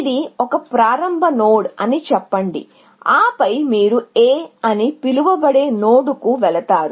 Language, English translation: Telugu, So, let us say, this is a start node and then, you go to some node called A